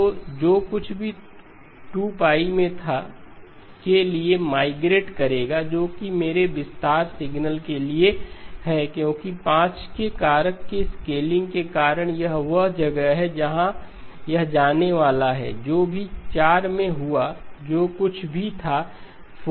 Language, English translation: Hindi, So whatever was at 2pi will migrate to 2pi by 5 right, that is for my expanded signal because of the scaling by a factor of 5 this is where it is going to go, whatever happened at 4pi, whatever was there at 4pi that comes to 4pi by 5